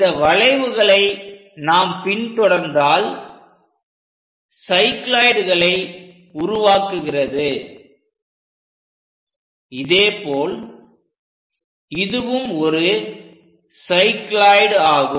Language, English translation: Tamil, If we are in your position to track these curves makes cycloids, similarly this one also a cycloid